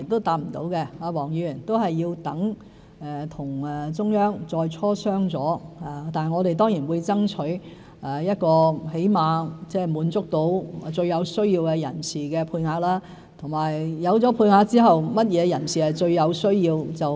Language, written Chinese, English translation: Cantonese, 我們需待與中央再磋商，但我們當然會爭取起碼滿足最有需要人士的配額，而有配額後甚麼人士最有需要？, We will need to discuss this with the Central Authorities again but we will certainly strive to meet at least the quotas for those most in need . After the quotas are in place what people are regarded as the most in need?